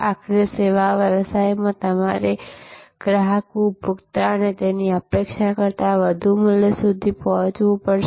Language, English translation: Gujarati, Ultimately in services business, you have to deliver to the customer consumer, more value than they expected